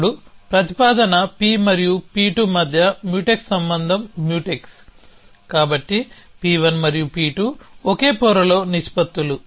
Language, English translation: Telugu, Then Mutex relation between proposition P and P 2 are Mutex, so P 1 and P 2 are proportions in the same layer